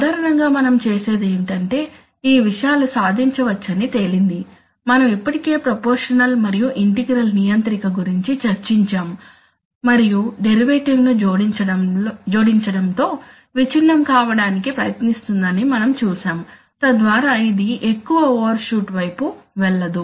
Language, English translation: Telugu, Typically what we do is, it turns out that these things can be achieved, we have already discussed proportional and integral controller and we have also seen that adding a derivative will you know try to break, so that it does not go towards much overshoot